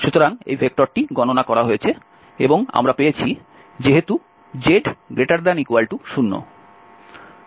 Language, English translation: Bengali, So, this vector is computed and we have since z greater than equal to 0